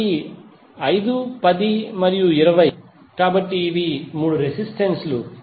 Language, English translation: Telugu, So 5, 10 and 20, so these are the 3 resistances